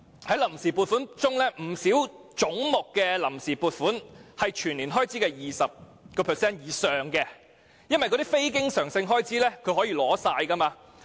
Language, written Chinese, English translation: Cantonese, 在臨時撥款中，不少總目的臨時撥款佔全年開支 20% 以上，當中非經常性開支可以全額取用。, The funds on account under many heads represent over 20 % of the annual expenditure the non - recurrent expenditure of which can actually be utilized in full